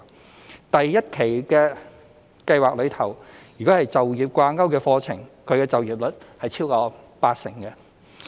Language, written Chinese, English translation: Cantonese, 在第一期計劃中，就業掛鈎課程畢業學員的就業率超過八成。, The employment rate of graduate trainees of placement - tied courses in the first tranche of the Special Scheme exceeds 80 %